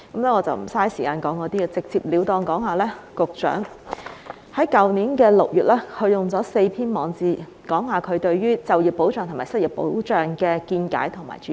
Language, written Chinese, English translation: Cantonese, 我會直截了當說說，局長於去年6月用了4篇網誌，表達他對於就業保障及失業保障的見解和主張。, Let me get straight to the point . The Secretary wrote four blog posts last June to express his views and proposals on employment protection and unemployment protection